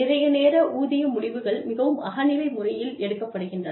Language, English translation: Tamil, A lot of time, pay decisions are made, in a very subjective manner